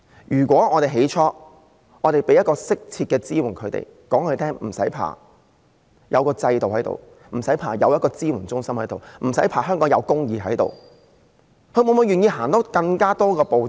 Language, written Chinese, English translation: Cantonese, 如果我們當初提供適切的支援給她們，告訴她們不用怕，我們有制度，有支援中心，香港有公義，她們會否願意多走一步？, If we had provided them with appropriate support right at the beginning and told them not to be afraid because we have a system and CSCs and there is justice in Hong Kong would they be willing to take one more step?